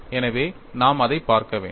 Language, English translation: Tamil, So, we have to look that